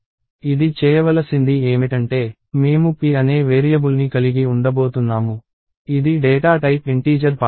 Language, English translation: Telugu, What this is supposed to do is, I am going to have a variable called p, which is of the data type integer pointer